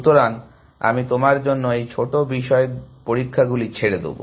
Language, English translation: Bengali, So, I will leave that the small topic experiments for you to do